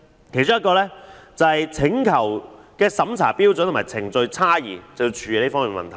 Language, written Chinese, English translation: Cantonese, 其中一個是處理有關"請求的審查標準和程序差異"的問題。, The differences in the standards of and procedures for examining surrender requests are one of the items to be addressed